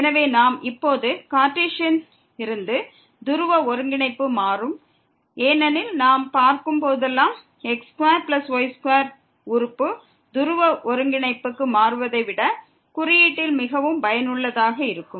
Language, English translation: Tamil, So, we will change now from Cartesian to the polar coordinate, because whenever we see the square plus square term in the denominator than this changing to polar coordinate is very, very useful